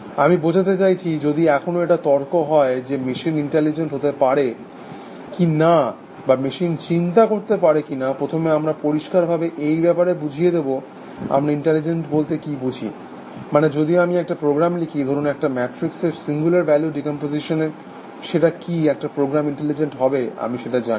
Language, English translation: Bengali, I mean if there is going to be ever a debate about whether machines can be intelligent or not machines can think on are, first we should be clear is to, what do we mean by intelligent, I mean if I write a program is, let say the singular value decomposition of a matrix, would that is a program intelligent, well I do not know